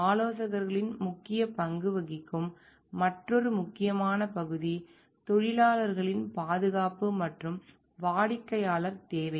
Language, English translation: Tamil, Another important area where consultants have a major role to play is for the safety of the workers and client needs